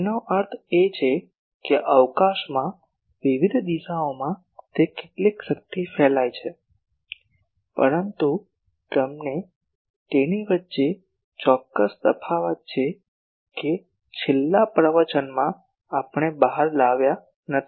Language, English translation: Gujarati, That means, in various directions in space how much power it radiates, but there is a certain difference between them that that in the last lecture we did not bring out